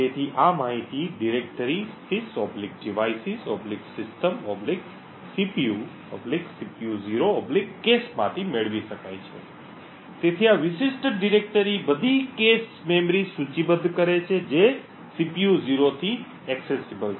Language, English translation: Gujarati, So, this information can be obtained from the directory /sys/devices/system/cpu/cpu0/cache, so this particular directory list all the cache memories that are accessible from the CPU 0